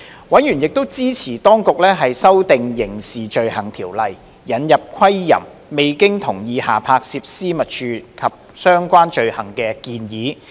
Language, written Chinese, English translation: Cantonese, 委員亦支持當局修訂《刑事罪行條例》，引入窺淫、未經同意下拍攝私密處及相關罪行的建議。, Members also supported the Administration to amend the Crimes Ordinance for the proposed introduction of the offences on voyeurism and non - consensual recording of intimate parts and related offences